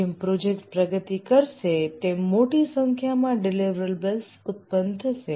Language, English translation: Gujarati, As the project progresses, various deliverables are produced